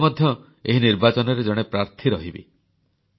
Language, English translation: Odia, I myself will also be a candidate during this election